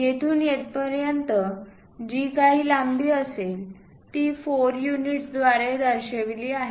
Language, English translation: Marathi, From here to here whatever length is there that's represented by 4 units